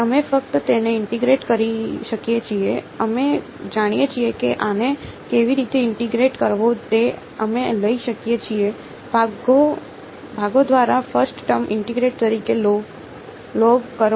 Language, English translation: Gujarati, We can just integrate it we know how to integrate this right we can take, log as the first term integration by parts right